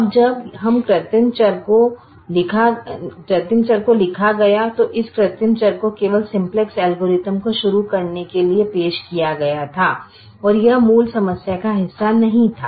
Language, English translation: Hindi, now, when wrought this artificial variable, this artificial variable was introduce only for the sake of starting the simplex algorithm and this was not part of the original problem